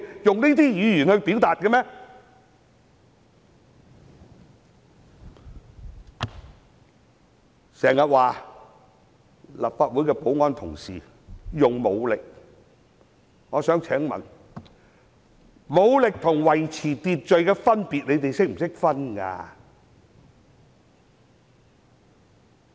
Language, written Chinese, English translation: Cantonese, 有人經常說立法會的保安同事使用武力，但我想問他們懂得區分武力與維持秩序的分別嗎？, Some often complain about the use of force by our security colleagues in the Council . Yet I wish to ask them whether they know how to tell the difference between using force and maintaining order?